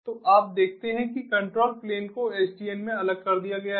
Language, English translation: Hindi, so you see that the control plane has been separated in sdn